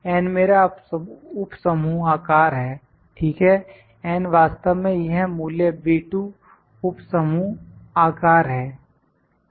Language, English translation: Hindi, N is my subgroup size, ok, n is actually this value B 2 subgroup size